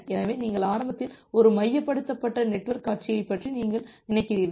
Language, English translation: Tamil, So, you just initially think of a centralized network scenario